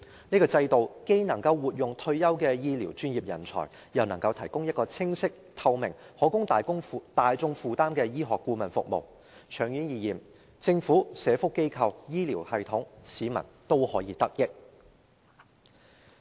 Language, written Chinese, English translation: Cantonese, 這制度既能活用退休醫療專業人才，又能提供清晰、透明，以及大眾可以負擔的醫學顧問服務，長遠而言，政府、社福機構、醫療系統和市民均可得益。, Such a system can let retired medical professionals give play to their expertise . It can also provide clear transparent and affordable medical advisory services to the public . In the long term the Government social welfare organizations the health care system and members of the public will stand to benefit